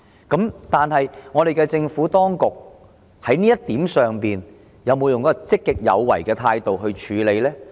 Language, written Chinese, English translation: Cantonese, 在這一點上，政府當局有否以一種積極有為的態度處理呢？, In this regard has the Administration adopted a proactive approach in handling this?